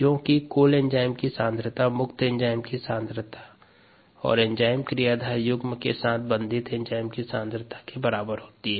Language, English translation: Hindi, the concentration of the total enzyme equals the concentration of the free enzyme plus the concentration of the bound enzyme or bound as enzyme substrate complex